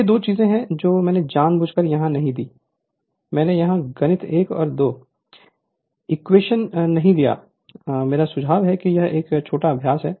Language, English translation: Hindi, So, these two this two I did not give here intentionally I did not give here the mathematics 1 or 2 equation, I suggest this is a small exercise for you right